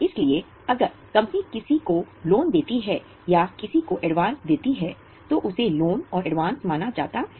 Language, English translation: Hindi, So if company gives loan to somebody or advance to somebody it is considered as a loans and advances